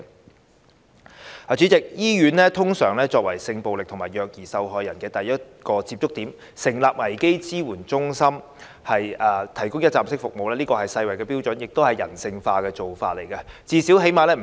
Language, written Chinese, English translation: Cantonese, 代理主席，醫院通常作為性暴力及虐兒受害人的第一個接觸點，成立危機支援中心提供一站式服務，是世衞標準，亦是人性化的做法。, Deputy President hospitals are usually the first contact point for victims of sexual violence and child abuse and the setting up of crisis support centres to provide one - stop services is in line with both the WHO standard and humanity